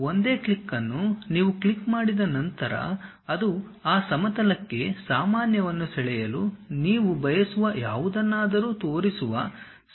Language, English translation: Kannada, Once you click that a single click, it opens a dialog box showing something would you like to draw normal to that plane